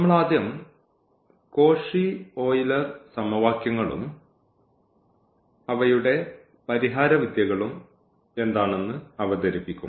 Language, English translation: Malayalam, So, we will first introduce what are the Cauchy Euler questions and then their solution techniques